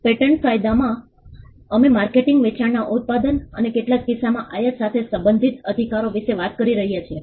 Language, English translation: Gujarati, In patent law we are talking about rights relating to manufacture marketing sale and in some cases importation